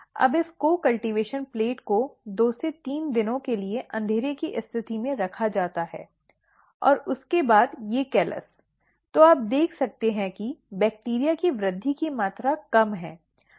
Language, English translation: Hindi, Now this co cultivation plate is placed under dark condition for 2 to 3 days and after that these callus; so, you can see here there is little amount of growth of the bacteria